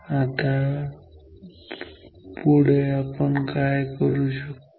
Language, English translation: Marathi, Now, next what we should do